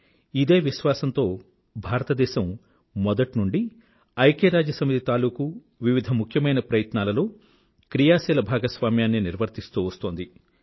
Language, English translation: Telugu, And with this belief, India has been cooperating very actively in various important initiatives taken by the UN